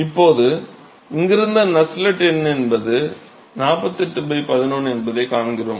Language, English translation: Tamil, So, from here we find that Nusselt number is 48 by 11